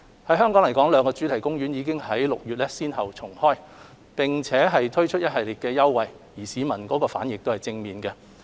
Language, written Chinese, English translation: Cantonese, 以香港來說，兩個主題公園已於6月先後重開，並推出一系列優惠，市民反應正面。, The two theme parks in Hong Kong have reopened in June and provided a range of concessionary packages which received positive response from the community